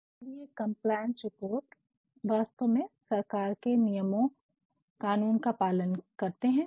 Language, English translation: Hindi, Now, this compliance reports actually comply with government norms with laws regulations